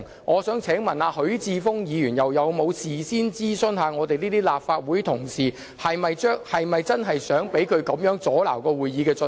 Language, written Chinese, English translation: Cantonese, 我想問許智峯議員又有否事先諮詢我們這些立法會同事是否真的想他阻撓會議進行？, I would like to ask whether Mr HUI Chi - fung had consulted us in advance whether we really wanted him to interfere the normal proceedings of the Council